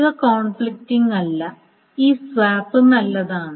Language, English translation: Malayalam, So these are non conflicting and this swap is fine